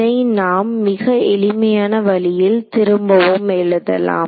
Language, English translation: Tamil, So, there is the simple way to rewrite this